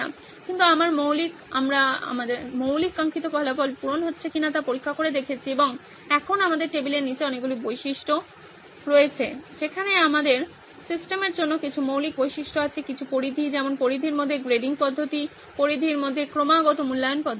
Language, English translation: Bengali, But my basic, we kept checking back whether my basic desired results is being met or not and now we have a tons of features there at the bottom of the table where we have some features that are basic to the system, some which are on the periphery, like the grading system is in the periphery, continuous evaluation system is in the periphery